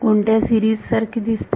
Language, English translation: Marathi, What kind of series does it look like